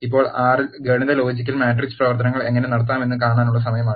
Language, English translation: Malayalam, Now, it is time to see how to perform arithmetic, logical and matrix operations in R